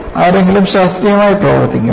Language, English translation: Malayalam, You know, somebody does scientific work